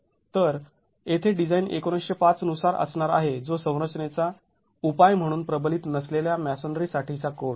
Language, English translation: Marathi, So, here the design is going to be as per 1905 which is the code for unreinforced masonry as a structural solution